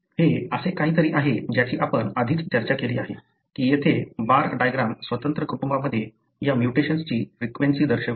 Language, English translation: Marathi, This is something that we have already discussed that the bar diagram here shows the frequency of these mutation in independent families